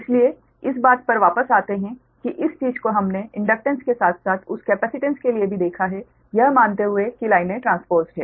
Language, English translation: Hindi, so come back to that earlier, this thing we have seen for inductance, as well as the capacitance that, assuming that lines are transposed, right